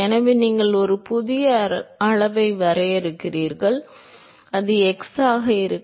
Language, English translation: Tamil, So, you define a new quantity, which is mu into x